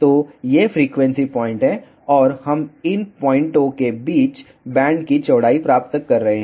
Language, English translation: Hindi, So, these are the frequency points, and we are getting the band width between these points